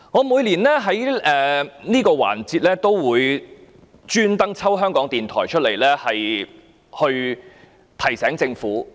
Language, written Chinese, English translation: Cantonese, 每年在這個環節中，我也會刻意提及港台，從而提醒政府。, Every year during this session I will deliberately bring up RTHK to send a reminder to the Government